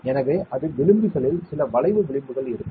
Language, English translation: Tamil, So, it is slightly at the edges there will be some curve edges